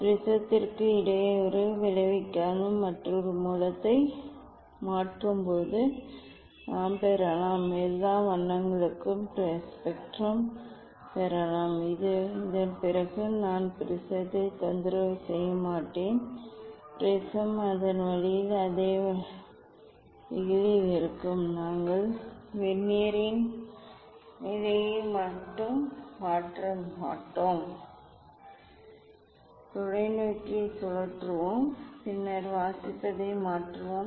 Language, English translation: Tamil, that when we replace the another source without disturbing the prism, we can get; we can get the spectrum for all colours after this we should not disturb the prism; prism will be at the same position same ways ok, we will not change the position of the Vernier only, we will rotate the telescope then reading we will change